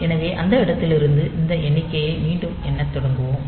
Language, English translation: Tamil, So, it will be again start this upcounting from that point